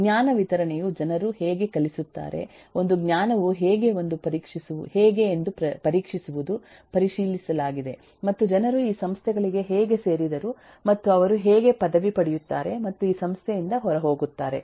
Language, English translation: Kannada, one is examination, how knowledge acquired is checked and how people joined this institutes and how they graduate and go out of this institute